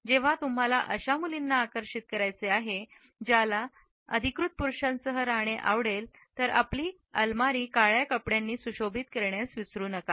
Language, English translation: Marathi, If you are trying to attract girls who want to be with an authoritative man, then do not forget to customize your wardrobe with black clothes